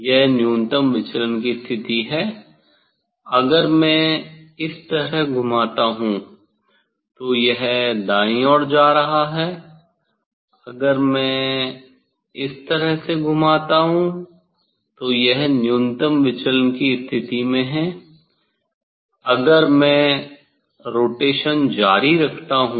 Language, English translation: Hindi, this is the minimum deviation position, if I rotate this way it is going right side, if I rotate this way then it is at minimum deviation position, if I continue the rotation